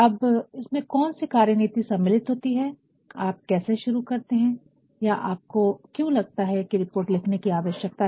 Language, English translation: Hindi, Now, what are these strategies involved, how you start or why do you think there is a need to write the report